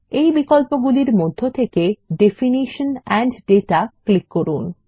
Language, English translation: Bengali, In the options, we will click on Definition and Data